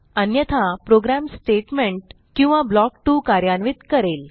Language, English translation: Marathi, Else, it executes Statement or block 2